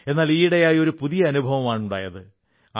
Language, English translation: Malayalam, But these days I'm experiencing something new